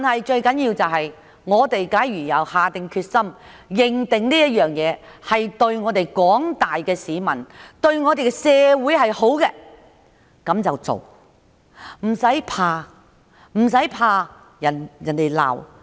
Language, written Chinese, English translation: Cantonese, 最重要的是，只要下定決心、認定事情對廣大市民及社會是好的，便應該去做，無需害怕被人責罵。, More importantly if they think that the initiative is good to the general public and the community they should have the determination to go ahead without having to be fear of being denounced